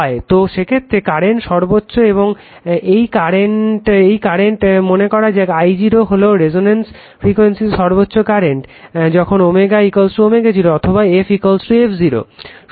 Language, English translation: Bengali, So, in that case that your current is maximum and these current say it is I 0 I 0 is the maximum current at resonance frequency when omega is equal to omega 0 or f is equal to f 0 right